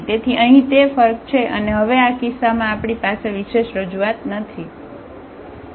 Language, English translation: Gujarati, So, that was the difference here and now in this case we have a non unique representation